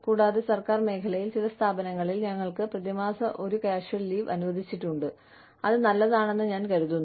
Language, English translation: Malayalam, And, in the government sector, in some organizations, we are allowed, one casual leave per month